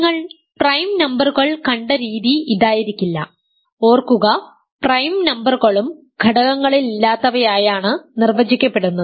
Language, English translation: Malayalam, This may not be the way you have seen prime numbers, remember prime numbers are also defined as those that do not have any factors